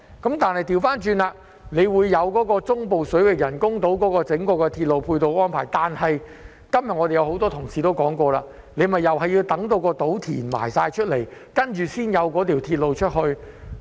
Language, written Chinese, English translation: Cantonese, 相反，當局卻就中部水域人工島制訂了整個鐵路配套安排，但今天很多同事亦說過，這也要等到人工島落成，然後才會有鐵路。, On the contrary the authorities have drawn up an overall plan in respect of the ancillary railway arrangements for the artificial islands in Central Waters . But rightly as many Honourable Members said today the railway would only be available upon completion of the artificial islands